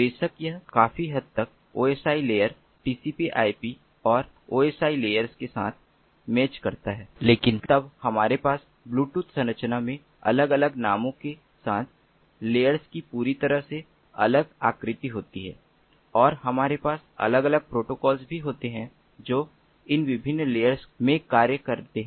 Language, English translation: Hindi, of course, it does match with the osi layers, tcpip and osi layers to a great extent, but then we have a completely different set of layers with different names in the bluetooth architecture and also we have separate protocols that are that function in each of these different layers